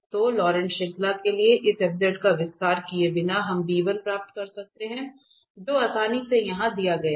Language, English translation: Hindi, So without expansion of this f z to the Laurent series we can get this b1 which is readily given here